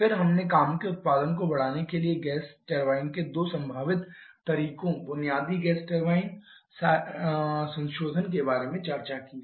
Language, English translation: Hindi, Then we have discussed about 2 possible modes of gas turbine basic gas turbine cycle modification to increase the work output